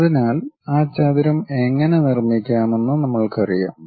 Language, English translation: Malayalam, So, we know how to construct that rectangle construct that